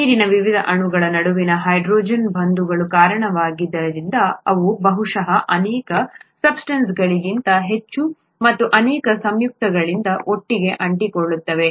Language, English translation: Kannada, Because of the hydrogen bonds between the various molecules of water they tend to stick together a lot more than probably many other substances, many other compounds